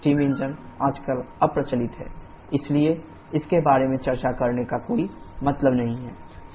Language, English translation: Hindi, Steam engines are obsolete nowadays, so there is no point discussing about that